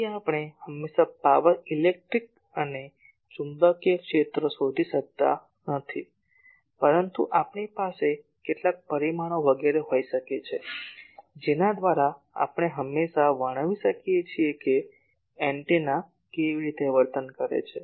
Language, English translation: Gujarati, So, we always cannot find the power electric and magnetic fields, but we can have some measurements etc, by which we can always characterize that how the antenna is behaving